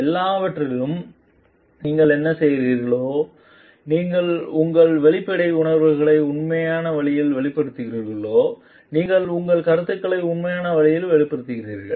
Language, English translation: Tamil, Whatever you are doing however, you are your expressive feelings in our genuine way you express yourself you express your comments in a genuine way